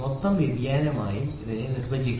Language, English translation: Malayalam, It can also be defined as the total variation